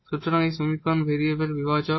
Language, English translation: Bengali, So, the one of them is the separation of variable